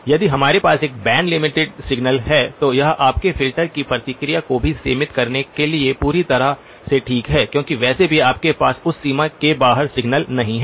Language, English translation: Hindi, If we have a band limited signal, then it is perfectly okay to band limit the response of your filter as well because anyway you do not have signal in the outside of that range